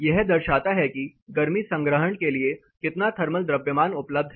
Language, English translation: Hindi, It is like a representative of a how much thermal mass is available for heat storage